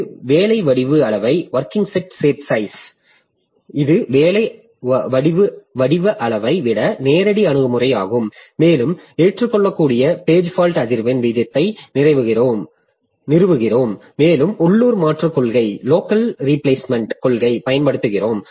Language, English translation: Tamil, So, this is a more direct approach than working set size and we establish acceptable page fault frequency rate and use local replacement policy